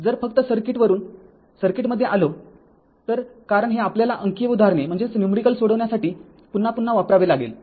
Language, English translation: Marathi, If you come to the circuit from the circuit only, because this we have to use again and again for solving your numericals